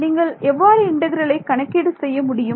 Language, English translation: Tamil, How would you calculate this integral